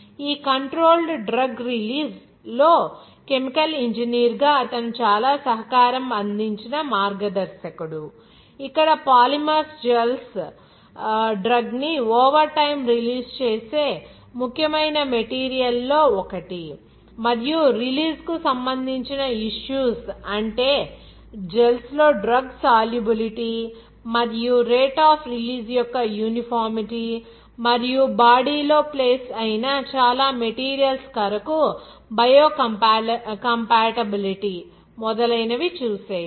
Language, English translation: Telugu, Alan Michael’s, his one of the pioneer chemical engineers where he contributed lot as a chemical engineer in this control drug release, where Polymers gels is one of the important material that releases a drug over time and that issues related to the release like the solubility of the Drug in the gels and uniformity of the rate of release and also biocompatibility for many materials that are placed in the body